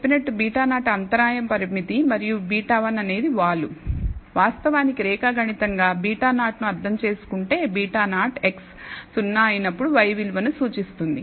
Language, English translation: Telugu, As I said that beta naught is the intercept parameter and beta 1 is the slope actually geometrically interpret beta 0, beta 0 represents the value of y when x is 0